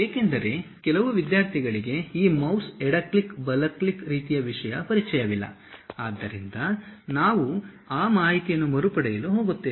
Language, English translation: Kannada, ah Because uh some of the students are not pretty familiar with this mouse left click, right click kind of thing, so we are going to recap those information